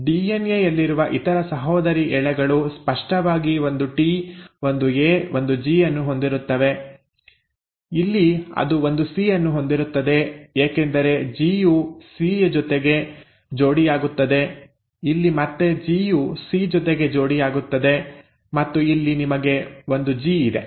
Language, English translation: Kannada, Now the other sister strand on the DNA will obviously be having a T, a A, a G here, here it will have a C because G pairs with a C, here again G pairs with a C and here you have a G